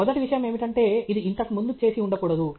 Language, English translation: Telugu, The first thing is it should not have been done before